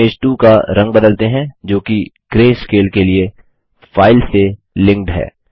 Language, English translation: Hindi, Let us change the color of Image 2, which is linked to the file to greyscale